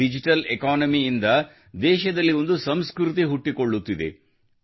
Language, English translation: Kannada, A culture is also evolving in the country throughS Digital Economy